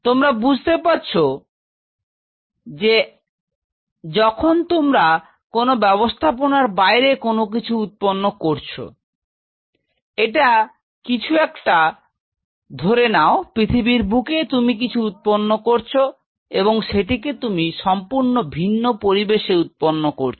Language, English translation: Bengali, So, you realizing that when you are trying to build something outside this is something, suppose of this is on earth you are trying to grow something and if you are growing this is totally different environment for it